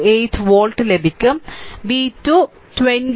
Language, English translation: Malayalam, 428 volt and v 2 will be 20